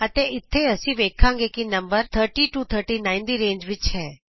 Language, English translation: Punjabi, And here we will see that the number is in the range of 30 to 39